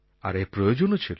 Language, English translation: Bengali, This was necessary